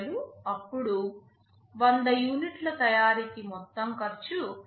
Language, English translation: Telugu, 5000, then for manufacturing 100 units the total cost becomes Rs